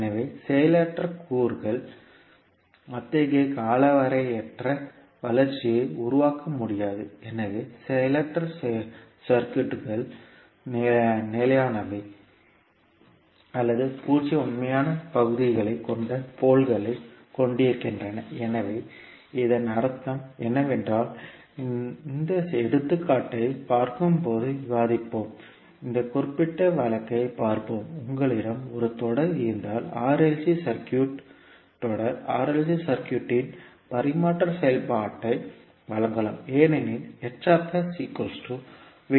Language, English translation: Tamil, So the passive elements cannot generate such indefinite growth so passive circuits either are stable or have poles with zero real parts so what does it mean we will as discuss when we will see this particular example let us see this particular case, if you have a series r l c circuit the transfer function of series r l c circuit can be given as h s is equal to v not by v s